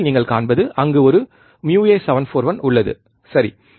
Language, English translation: Tamil, In the screen what you see there is a uA741, right